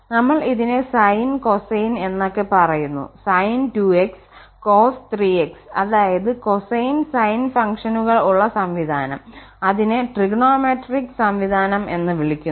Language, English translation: Malayalam, We are calling this sine cosine and so on sin 2x cos 3x, that is system with having cosine sine functions and that is called trigonometric system